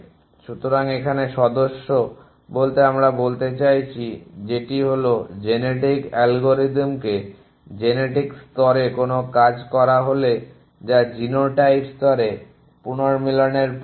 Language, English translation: Bengali, So, member, that we a said, that call genetic algorithms some it action in genetic level which is the process of recombination at genotype level